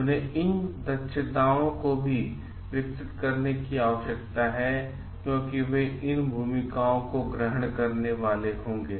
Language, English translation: Hindi, They need to develop these competencies also because they will be taking up these roles